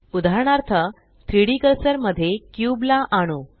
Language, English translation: Marathi, For example, let us snap the cube to the 3D cursor